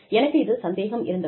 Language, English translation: Tamil, I doubt it